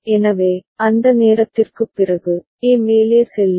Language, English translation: Tamil, So, after that time only, A will go up